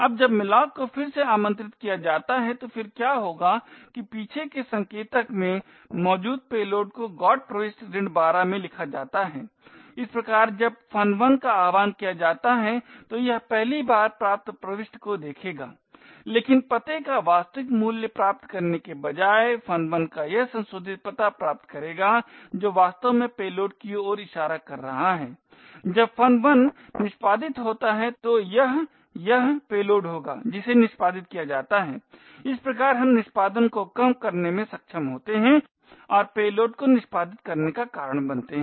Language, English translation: Hindi, Now when malloc gets invoked yet again what would happen is that the payload present in the back pointer gets written into the GOT entry minus 12 thus when function 1 gets invoked it will first look up the got entry but instead of getting the actual value of the address of function 1 it will get the modified address which is actually pointing to the payload thus when function 1 executes it would be this payload that gets executed, thus we are able to subvert execution and cause the payload to execute